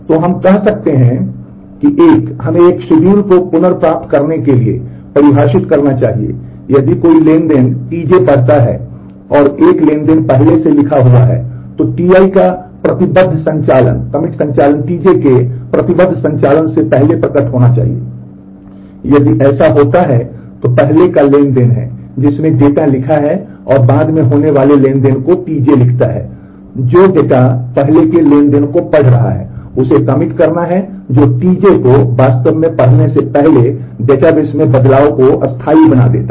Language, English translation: Hindi, So, we say that a so, let us define a schedule to be recoverable if a transaction T j reads A data previously written by a transaction T i, then the commit operation of T i must appear before the commit operation of T j, if that happens then that is the earlier transaction which has written the data and T j the later transaction which is reading the data the earlier transaction has to commit that is make the changes permanent in the database before T j actually reads it